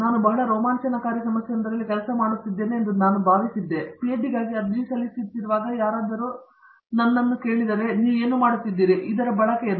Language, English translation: Kannada, I was working in a problem I thought I was very exciting and when I was applying for a PhD somebody ask me, what is the use of what you are doing